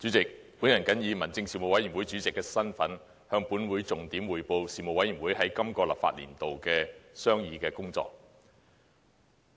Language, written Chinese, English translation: Cantonese, 主席，我謹以民政事務委員會主席的身份，向本會重點匯報事務委員會在今個立法年度的商議工作。, President in my capacity as Chairman of the Panel on Home Affairs the Panel I report to the Council the main areas of deliberation of the Panel during the current legislative session